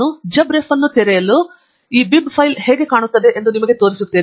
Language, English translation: Kannada, Let me open jabRef and show you how this bib file would look like